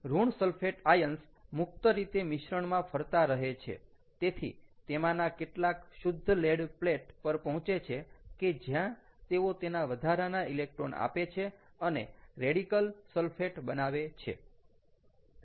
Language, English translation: Gujarati, negative sulfate ions are moving freely in the solution, so some of them will reach to pure lead plate, where they give their extra electrons and become radical sulfate